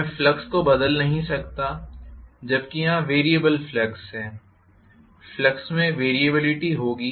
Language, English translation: Hindi, I cannot vary the flux whereas here it is variable flux I will have variability in the flux, right